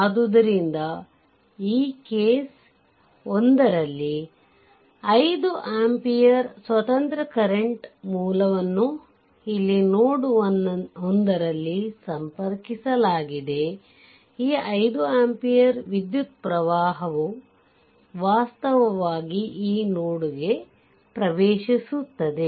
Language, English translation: Kannada, So, in this case ah 1; 1 your what you call one ah independent current source is connected here at node 1 a 5 ampere ah current is actually, this 5 ampere means this current actually 5 ampere current is entering into this node, right